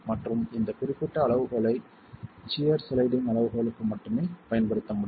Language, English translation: Tamil, And this particular criterion can be used only for the shear sliding criterion